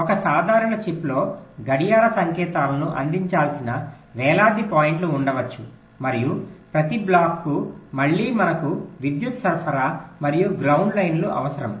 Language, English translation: Telugu, say, in a typical chip, there can be thousands of points where the clock signals should be fed to, and again, for every block we need the power supply and ground lines to be routed ok